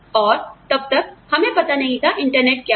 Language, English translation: Hindi, And, till then, I mean, we had no idea of, what the internet was